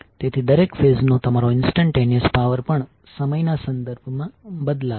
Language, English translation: Gujarati, So even your instantaneous power of each phase will change with respect to time